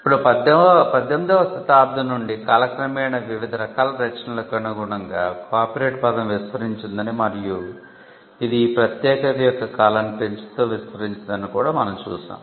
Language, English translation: Telugu, Now, you will also see that over the period of time since the 18th century the copyright term has extended to accommodate different kinds of works and it has also expanded increasing the term of the exclusivity